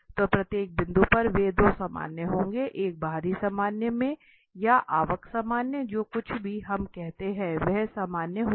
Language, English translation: Hindi, So, there are at each point they will be two normal, one in the outward normal or the inward normal whatever we call there will be 2 normal there